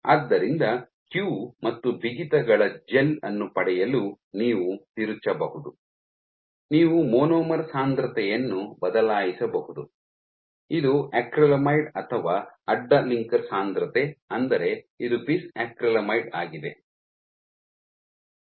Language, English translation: Kannada, So, you can tweak in order to get a gel of q and stiffness you can change either the monomer concentration which is your acrylamide or the cross linker concentration which is your bis acrylamide